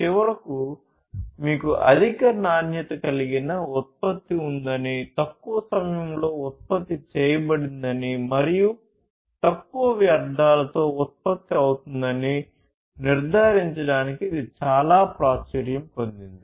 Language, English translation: Telugu, It become very popular to ensure that at the end you have a product which is of high quality produced in reduced time, and is produced, you know, it is high quality, and produced in reduced time, and is produced with minimal wastes